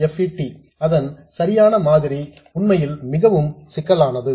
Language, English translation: Tamil, The actual model of the MOSFET is really, really complicated